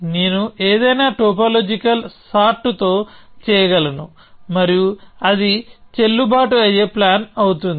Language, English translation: Telugu, I can do with any topological sort and that will be a valid plan